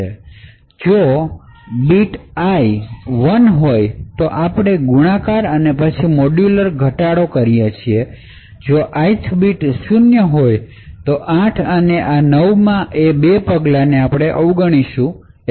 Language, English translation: Gujarati, If ith is 1, then we do multiplication followed by modular reduction, if the ith bit is 0 then these 2 steps in 8 and 9 are skipped